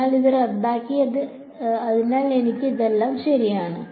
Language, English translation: Malayalam, So, this is canceled, so, I am just left with this all right